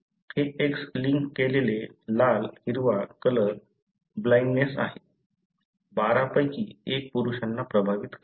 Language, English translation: Marathi, This is X linked red green colour blindness, affects 1 in 12 males